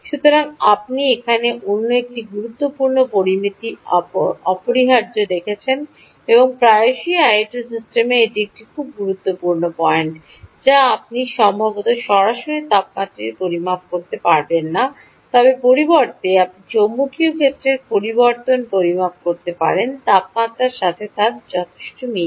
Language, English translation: Bengali, so you are essentially looking at another important parameter here, and often in i o t systems, this is a very important point: that you might not really measure the the temperature directly, but instead you may measure change in change in magnetic field corresponds to change in temperature